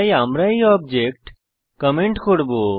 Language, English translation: Bengali, So we will comment this object creation